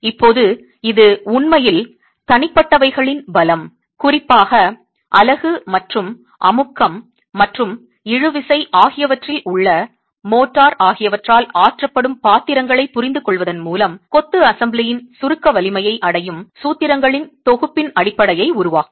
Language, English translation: Tamil, Now, this will actually form the basis of a set of formulations that arrive at the compressive strength of the assembly of masonry with an understanding of the roles played by individual strength, particularly the unit and the motor in compression and in tension